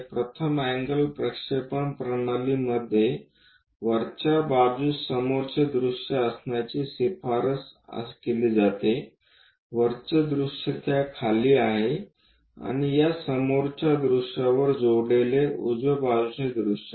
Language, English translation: Marathi, In first angle projection system it is recommended to have front view at top; top view below that and right side view connected on this front view